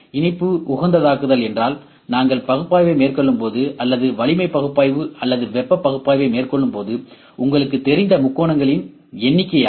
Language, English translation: Tamil, Optimize mesh means their number of triangles you know when we conduct the analysis or when we conduct the strength analysis or heat analysis, this is the mesh